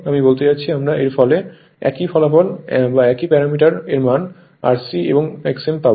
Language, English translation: Bengali, I mean you will get the same result same parameters value R c and X m